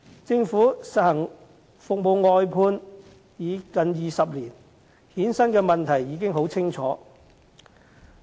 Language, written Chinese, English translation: Cantonese, 政府實行服務外判已近20年，衍生的問題已很清楚。, The Government has implemented service outsourcing for nearly two decades and the problems arising from it cannot be clearer